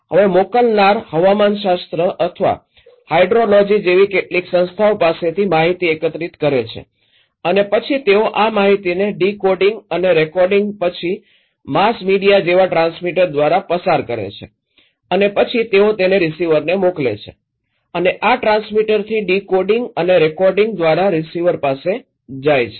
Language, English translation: Gujarati, Now senders collecting informations from some organizations like meteorology or hydrology and then they passed these informations to the transmitter like mass media after decoding and recoding and then they send it to the receiver and also these goes from transmitter to the receiver through decoding and recoding